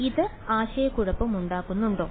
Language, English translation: Malayalam, Is this something confusing